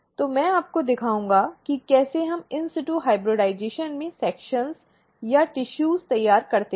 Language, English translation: Hindi, So, I will show you how we prepare the sections or the tissue for in situ hybridization